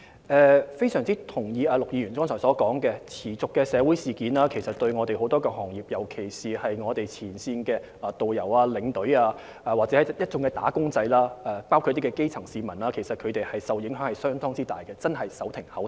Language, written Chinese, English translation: Cantonese, 我非常同意剛才陸議員的意見，持續的社會事件其實令很多行業，尤其是旅遊業前線的導遊、領隊及一眾"打工仔"，還有基層市民，受到相當大的影響，他們真的是手停口停。, I fully agree with the views expressed by Mr LUK just now . The continuous social events have actually had a substantial impact on many industries . In particular tour guides and tour escorts working at the frontline of the tourism industry the many wage earners and the grass - roots people are really unable to make a living